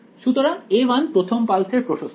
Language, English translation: Bengali, So, a 1 is the amplitude of the first pulse